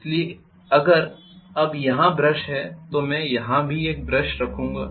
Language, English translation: Hindi, So I am going to connect one brush here